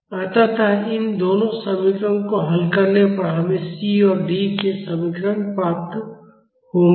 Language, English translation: Hindi, So, after solving these two, equations we will get the expressions for C and D